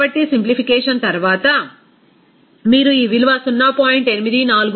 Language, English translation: Telugu, So, after simplification, you can get this value of 0